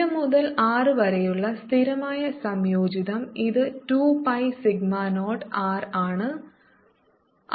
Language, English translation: Malayalam, from zero to r, it comes out to be two pi sigma naught r